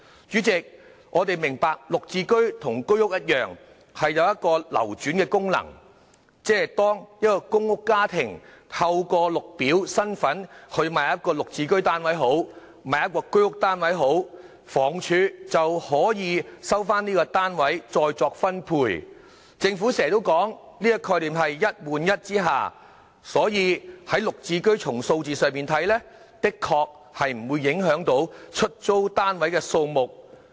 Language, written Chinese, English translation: Cantonese, 主席，我明白"綠置居"與居屋一樣有流轉功能，即是當一個公屋家庭透過綠表身份購買一個"綠置居"單位或居屋單位，房屋署便可以收回該單位再作分配，這便是政府經常說的"一換一"概念，所以從"綠置居"的數字來看，的確不會影響出租單位的數目。, President I understand that GSH same as Home Ownership Scheme HOS can help the circulation of units . This is the one - to - one concept often mentioned by the Government meaning that when a PRH household purchases an GSH or HOS flat through the Green Form the Housing Department will then recover and re - allocate the PRH unit . So judging from the figures GSH indeed will not affect the number of PRH units available